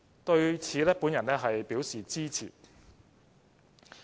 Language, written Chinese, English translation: Cantonese, 對此我表示支持。, I support this proposal